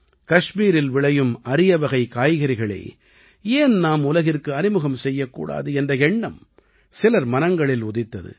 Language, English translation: Tamil, Some people got the idea… why not bring the exotic vegetables grown in Kashmir onto the world map